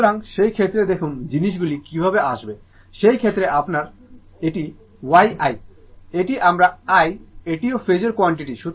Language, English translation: Bengali, So, in that case look how things will come, in that case your this is y i, this is my i, this is also phasor quantity